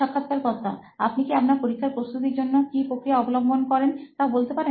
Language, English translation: Bengali, Can you just take us through what process you follow when you are preparing for an exam